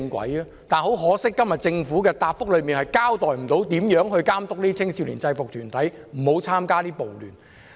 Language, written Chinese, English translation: Cantonese, 但是，很可惜，政府今天的主體答覆未能交代如何監督這些青少年制服團體不會參加暴亂。, Unfortunately the Government is unable to explain in todays main reply how it will perform its oversight role to ensure that these youth UGs will not take part in riots